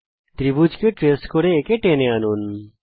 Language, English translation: Bengali, Drag it tracing the triangle